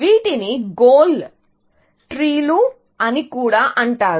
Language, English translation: Telugu, These are also known as goal trees